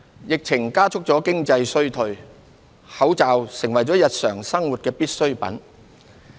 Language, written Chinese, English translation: Cantonese, 疫情加速了經濟衰退，口罩成為了日常生活的必需品。, The epidemic has aggravated the economic recession . Face masks have become a daily necessity